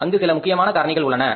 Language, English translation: Tamil, So, that is a very important factor